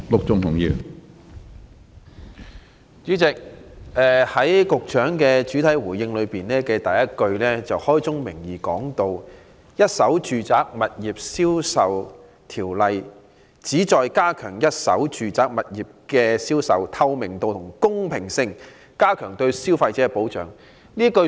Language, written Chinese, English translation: Cantonese, 主席，局長主體答覆的第一句開宗明義提到："《一手住宅物業銷售條例》旨在加強一手住宅物業銷售的透明度及公平性、加強對消費者的保障"。, President at the outset the first sentence of the main reply given by the Secretary spells out clearly that the objectives of the Residential Properties Ordinance are to strike a balance between enhancing the transparency as well as fairness in the sales of first - hand residential properties to strengthen protection of consumers